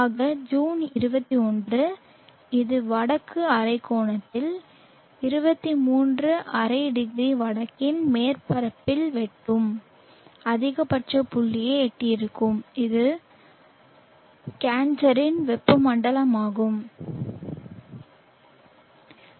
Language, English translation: Tamil, So June 21st it is it would have reach the maximum point and northern hemisphere cutting the surface at 23 ½0 north which is a tropic of cancer